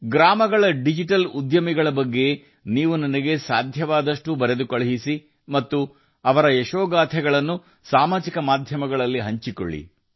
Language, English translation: Kannada, Do write to me as much as you can about the Digital Entrepreneurs of the villages, and also share their success stories on social media